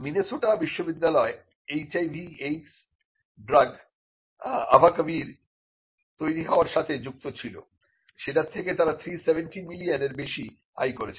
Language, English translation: Bengali, The University of Minnesota was involved in developing compounds behind abacavir which is a HIV aids drug and this made the university earn more than 370 million dollars